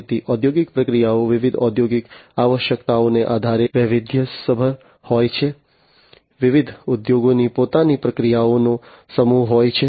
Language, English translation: Gujarati, So, industrial processes are varied depending on different industrial requirements, different industries have their own set of processes